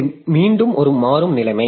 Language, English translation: Tamil, So this is again a dynamic situation